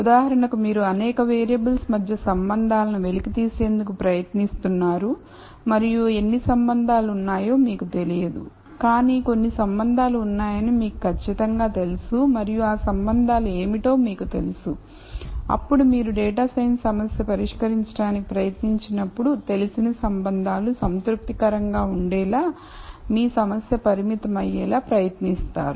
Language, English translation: Telugu, So, if for example, you are trying to uncover relationships between several variables and you do not know how many relationships are there, but you know for sure that certain relationships exist and you know what those relationships are, then when you try to solve the data science problem you would try to constrain your problem to be such that the known relationships are satisfied